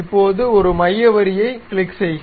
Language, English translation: Tamil, now click a centre line